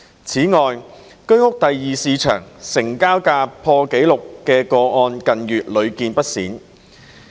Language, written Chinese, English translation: Cantonese, 此外，居屋第二市場成交價破紀錄的個案近月屢見不鮮。, In addition cases of record - breaking transaction prices in the HOS Secondary Market have frequently occurred in recent months